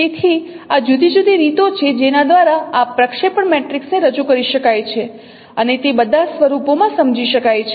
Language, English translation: Gujarati, So as we have discussed that projection matrix can be represented in different ways